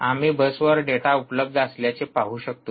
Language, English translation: Marathi, we just puts out the data on the bus